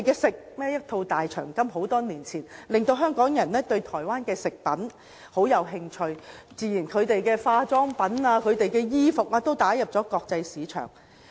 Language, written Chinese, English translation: Cantonese, 很多年前，一套"大長今"劇集，令香港人對韓國食品感到興趣，該國的化妝品及衣服都隨之打入國際市場。, Many years ago owing to the drama Dae Chang Kum Hong Kong people become interested in Korean food . Later Koreas cosmetics and garments have also taken up a place in the international market